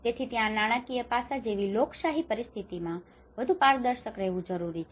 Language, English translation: Gujarati, So that is where in a democratic situations like this financial aspect has to be more transparent